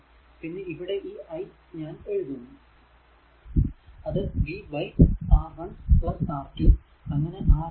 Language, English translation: Malayalam, So, that means, your v 1 is equal to i into R 1 and v 2 is equal to i into R 2